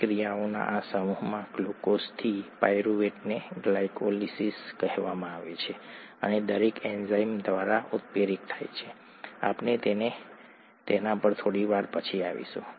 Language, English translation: Gujarati, This set of reactions, glucose to pyruvate is called glycolysis and each one is catalysed by an enzyme, we will come to that a little later